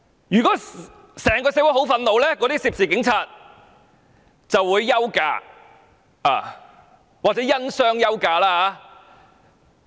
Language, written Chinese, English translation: Cantonese, 如果整個社會很憤怒，涉事警員就會休假或因傷休假。, If the entire society is very angry the police officers concerned would take vacation leave or take leave due to injury